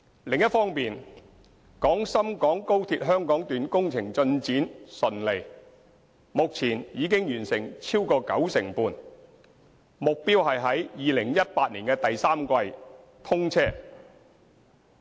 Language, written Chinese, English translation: Cantonese, 另一方面，廣深港高鐵香港段工程進展順利，目前已完成超過九成半，目標是在2018年第三季通車。, On a separate note the construction works of the Hong Kong Section of XRL are progressing smoothly and are now over 95 % complete . Our target is to commission services in the third quarter of 2018